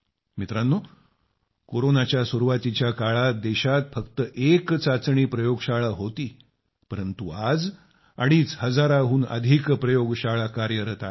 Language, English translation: Marathi, Friends, at the beginning of Corona, there was only one testing lab in the country, but today more than two and a half thousand labs are in operation